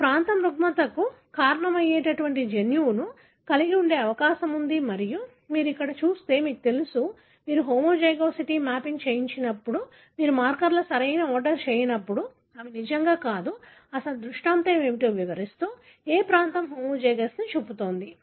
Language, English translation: Telugu, This is the region that is likely to have the gene that causes the disorder and if you look in here, you know, when you have not done the homozygosity mapping, when you have not done the correct ordering of the markers, they are not really explaining what is the real scenario, which region is showing the homozygous